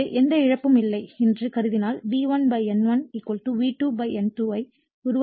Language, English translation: Tamil, So, assuming that no losses therefore, we can make V1 / N1 = V2 / N2